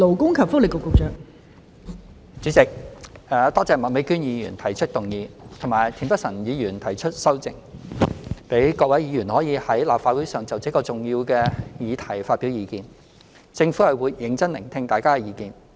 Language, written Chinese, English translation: Cantonese, 代理主席，多謝麥美娟議員提出這項議案及田北辰議員提出修正案，讓各位議員可在立法會會議上就這個重要議題發表意見，政府會認真聆聽大家的意見。, Deputy President I thank Ms Alice MAK for moving this motion and Mr Michael TIEN for proposing his amendment so that Members are given the opportunity to express their views on this important issue at a meeting of the Legislative Council . The Government will listen to Members views seriously